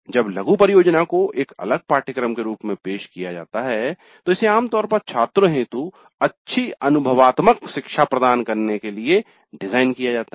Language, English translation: Hindi, Now when mini project is offered a separate course, it is generally designed to provide good experiential learning to the students